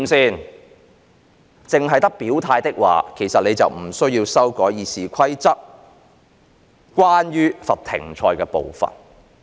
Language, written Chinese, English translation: Cantonese, 如果只有表態，其實便不需要修改《議事規則》關於罰停賽的部分。, If there is only expression of stances it would be unnecessary to amend RoP for the suspension of a Members service